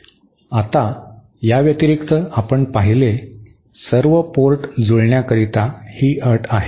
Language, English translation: Marathi, Now, in addition you saw, this is the condition for all ports are matched